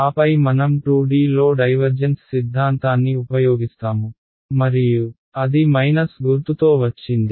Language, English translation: Telugu, And then after that we use the divergence theorem in 2D and that came with a minus sign right